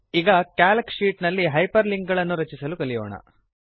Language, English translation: Kannada, Now, lets learn how to create Hyperlinks in Calc sheets